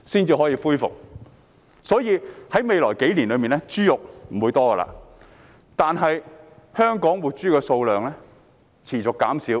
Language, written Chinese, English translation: Cantonese, 豬肉供應在未來數年不會多，而香港活豬數量亦持續減少。, The supply of pork will not be abundant in the next few years and the number of live pigs in Hong Kong is decreasing